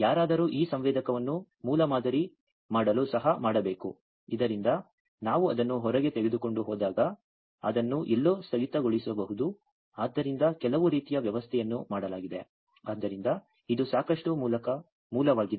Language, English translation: Kannada, But somebody should make this sensor also to make a prototype, so that we can take it outside hang it somewhere so some kind of arrangement was made, so that is quite rudimentary